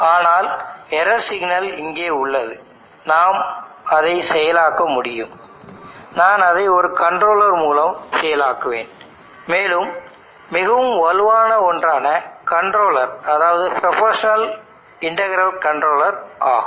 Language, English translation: Tamil, But this error signal what you have here I can process that, I will process it through a controller, and one of the most robust controllers is the PI controller proportional integral controller